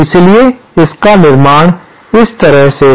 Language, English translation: Hindi, So, the construction of that is like this